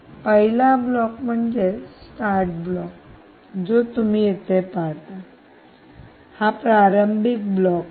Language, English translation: Marathi, the first block, indeed, is the start block, which you see here